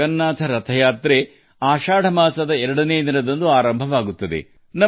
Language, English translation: Kannada, Bhagwan Jagannath Yatra begins on Dwitiya, the second day of the month of Ashadha